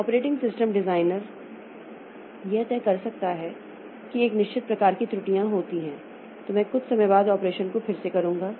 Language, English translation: Hindi, So, the operating system designer may decide that if a certain type of errors occur, then I will just retry the operation after some time